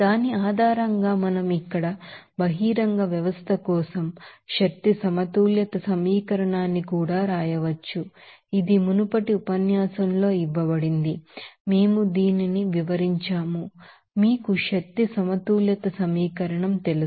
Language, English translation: Telugu, And based on that we can also write that energy balance equation for an open system here it is given in the previous lectures also we have described this you know energy balance equation